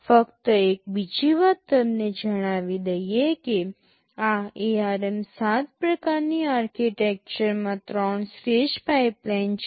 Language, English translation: Gujarati, Just another thing let me tell you, in this ARM7 kind of architecture a 3 stage pipeline is there